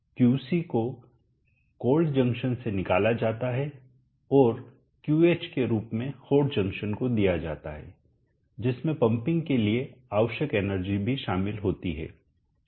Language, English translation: Hindi, QC is extracted from the cold junction and given to the hot junction as QH which includes even the energy that is required for pumping